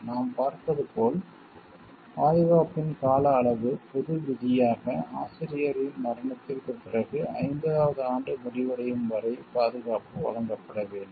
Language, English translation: Tamil, As we see, as the duration of the protection the general rule is that, the protection must be granted until the expiration of the 50th year after the authors death